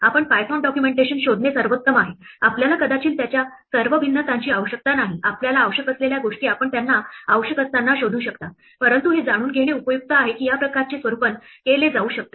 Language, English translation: Marathi, It is best that you look up python documentation, you may not need all variations of it, the ones that you need you can look up when you need them, but it is useful to know that this kind of formatting can be done